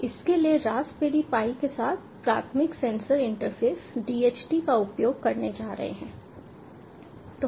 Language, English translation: Hindi, so for this the primary sensor interface with the raspberry pi is going to be using dht